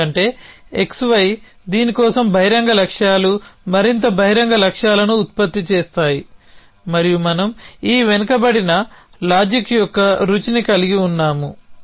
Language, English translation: Telugu, Because x y the open goals for an this produce more open goals and we had this flavor of backward reasoning happening essentially